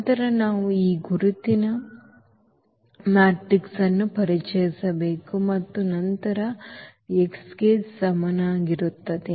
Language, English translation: Kannada, Then we have to also introduce this identity matrix and then x is equal to 0